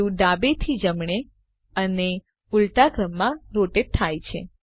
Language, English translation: Gujarati, The view rotates left to right and vice versa